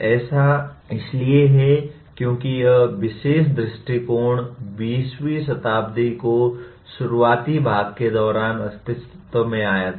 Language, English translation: Hindi, That is because this particular viewpoint came into being during early part of the 20th century